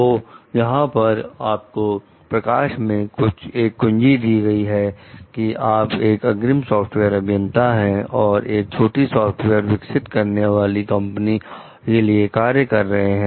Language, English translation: Hindi, So, what you found over here like you are a lead software developer for a small software developing company